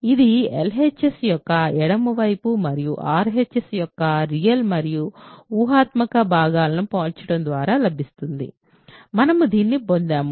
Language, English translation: Telugu, So, this is by comparing the real and imaginary parts of LHS the left hand side and RHS, we get this ok